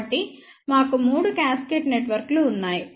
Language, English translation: Telugu, So, we have three cascaded networks